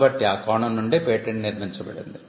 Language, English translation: Telugu, So, it is from that perspective that the patent is constructed